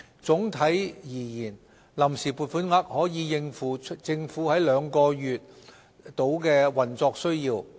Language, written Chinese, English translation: Cantonese, 總體而言，臨時撥款額可應付政府約2個月的運作需要。, In gist the proposed funds on account should be able to cope with around two months of the Governments operational requirements